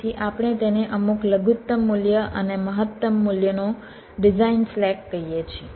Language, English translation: Gujarati, so we call it a design slack, some minimum value and maximum value